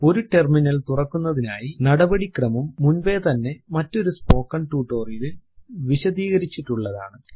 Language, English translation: Malayalam, A general procedure to open a terminal is already explained in another spoken tutorial